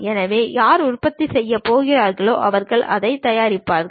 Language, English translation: Tamil, So, whoever so going to manufacture they will prepare that